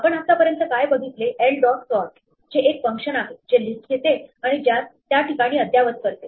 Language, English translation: Marathi, What we have seen so far is l dot sort, which is the function which takes a list and updates it in place